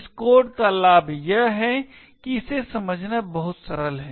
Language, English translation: Hindi, The advantage of this code is that it is very simple to understand